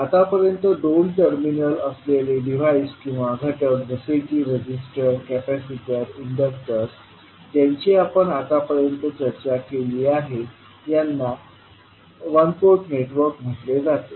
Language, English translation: Marathi, Now, two terminal devices or elements which we discussed till now such as resistors, capacitors, inductors are called as a one port network